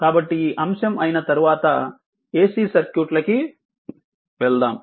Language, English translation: Telugu, So, when this topic is over we will go for ac circuit